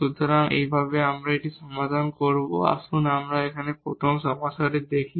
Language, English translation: Bengali, So, in this way we will solve this let us from the let us look at the first problem here